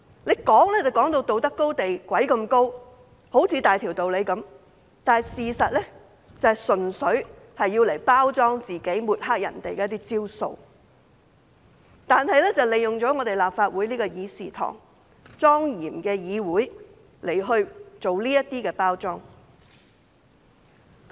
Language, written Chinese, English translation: Cantonese, 站在道德高地上說話，好像大條道理，事實上純粹是用來包裝自己、抹黑別人的招數，還利用立法會莊嚴的議事堂來包裝自己。, Their talk from the moral high ground seems sensible but in fact it is only a trick for packaging themselves and smearing others . They even use the solemn Chamber of Legislative Council to package themselves